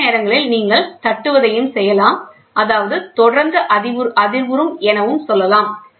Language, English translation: Tamil, And sometimes you can also have tapping; that means, to say constantly vibrating